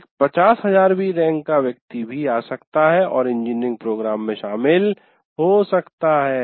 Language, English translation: Hindi, Every 50,000 rank person also can come and join an engineering program